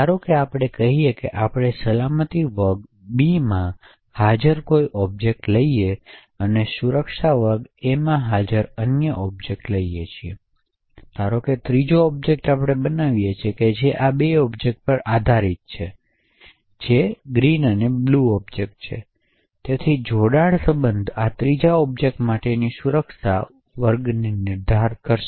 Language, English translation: Gujarati, Suppose let us say that we take a particular object present in security class B and take another object present in security class A, suppose we actually create a third object which is based on these two objects that is the green object and the blue object, so the join relation would define the security class for this third object